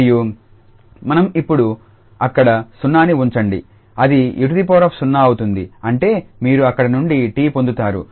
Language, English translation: Telugu, And when we put the 0 there so it will be e power 0 that means you get t from there